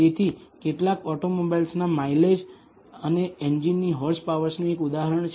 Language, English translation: Gujarati, So, here is a case example of mileage of some auto automobiles and the horse power of the engine